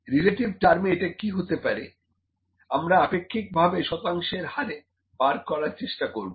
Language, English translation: Bengali, In relative terms, what could be relative terms relatively it could be the I could pick percentage here